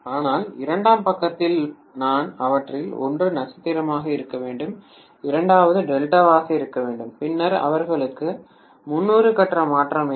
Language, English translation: Tamil, But on the secondary side maybe I have one of them to be star, second one to be delta, then they will have 30 degree phase shift